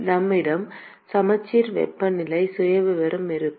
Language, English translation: Tamil, We will have a symmetric temperature profile